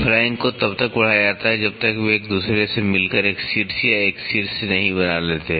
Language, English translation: Hindi, Flank are extended till they meet each other to form an apex or a vertex